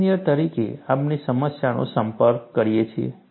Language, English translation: Gujarati, As engineers, we approach the problem